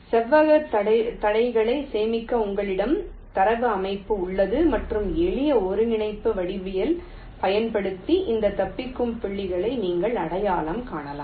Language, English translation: Tamil, you have the data structure to store the rectangular obstacles and just using simple coordinate geometry you can identify this escape points right